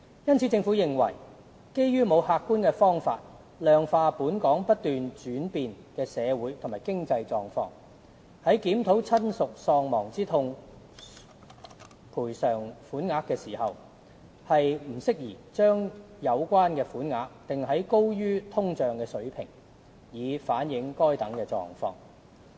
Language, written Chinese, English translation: Cantonese, 因此，政府認為，基於沒有客觀方法量化"本港不斷轉變的社會和經濟狀況"，在檢討親屬喪亡之痛賠償款額時，不宜把有關款額訂在高於通脹水平，以反映該等狀況。, In light of the above the Government takes the view that it is not appropriate to include an amount over and above inflation in the review of the bereavement sum to reflect the changing social and economic conditions of Hong Kong in the absence of an objective methodology to quantify the same